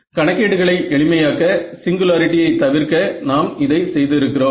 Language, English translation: Tamil, So, this, but to make math simpler we had done this to avoid singularity